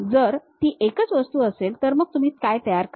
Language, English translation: Marathi, If it is one single object, what you are going to prepare